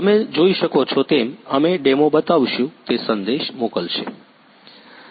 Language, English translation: Gujarati, We will show a demo you can see, it will send the message